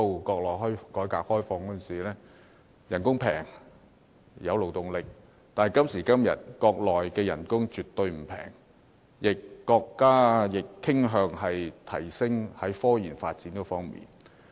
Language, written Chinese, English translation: Cantonese, 國內當時實施改革開放，工資廉宜，可提供勞動力；但今時今日，國內工資絕不廉宜，國家亦傾向提升科研發展。, Under the implementation of the reform and opening up policy in the Mainland back then there was a supply of workforce at low wages . However today wages in the Mainland are by no means low and our country is inclined to develop science and technology